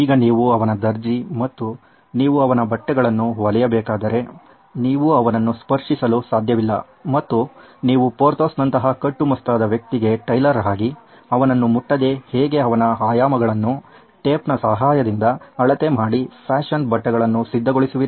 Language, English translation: Kannada, So if you are his tailor and you have to get his clothes stitched for him, you cannot touch him and if you go by how tailors actually measure for a person like Porthos who’s well built and burly you are going to need a measuring tape and you are going to have to touch him to measure his dimensions, so that you can get his fashionable clothes ready